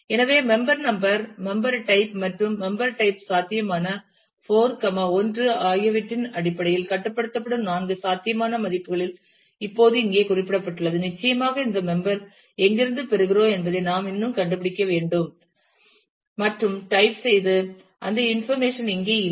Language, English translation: Tamil, So, member number must determine the member type and the member type will be constrained in terms of possible 4, 1 of the four possible values are stated here now of course, we will still have to figure out is to where do we get this member type from and so, on and that information is not present here